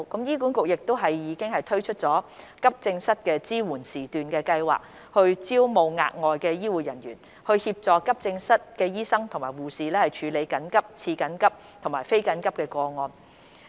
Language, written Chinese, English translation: Cantonese, 醫管局亦已推出急症室支援時段計劃，招募額外醫護人員，協助急症室醫生和護士處理緊急、次緊急和非緊急的個案。, HA has also launched the AE Support Session Programme with a view to recruiting additional healthcare staff to assist doctors and nurses in AE departments in handling urgent semi - urgent and non - urgent cases